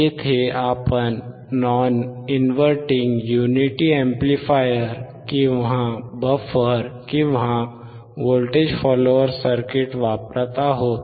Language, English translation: Marathi, Here we are using non inverting unity amplifier, or buffer or voltage follower